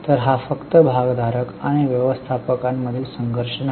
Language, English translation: Marathi, So, it is not just a conflict between shareholder and managers